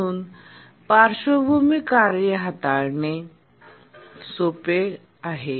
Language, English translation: Marathi, So, handling background tasks is simple